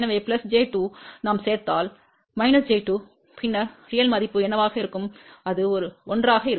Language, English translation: Tamil, So, plus j 2 if we add minus j 2, then what will be the actual value, that will be 1